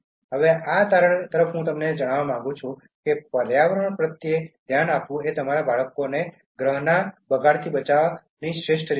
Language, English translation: Gujarati, Now, towards the conclusion I would like to tell you that being considerate to the environment it is the best way to teach your children to save the planet from deterioration